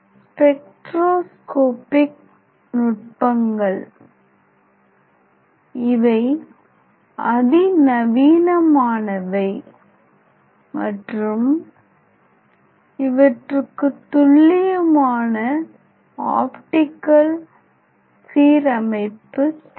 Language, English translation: Tamil, So, generally this spectroscopic technique requires an accurate optical alignment